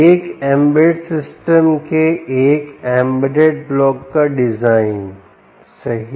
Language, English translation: Hindi, ah, design of an embedded block, of an embedded system, right, system